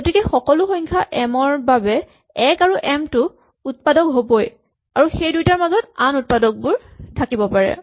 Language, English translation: Assamese, So for every number m 1 and m will be factors and then there may be factors in between